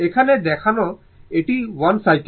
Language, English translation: Bengali, Here, you show it is 1 cycle